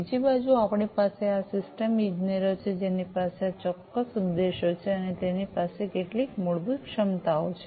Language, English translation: Gujarati, On the other hand, we have these system engineers who have certain objectives and have certain fundamental capabilities